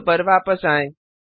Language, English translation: Hindi, Coming back to the code